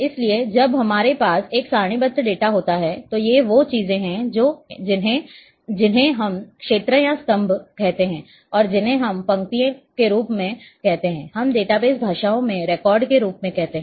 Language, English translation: Hindi, So, when we are having a tabular data, then with this these are the things which we call as fields or columns and these are which we call as rows we call as records in database languages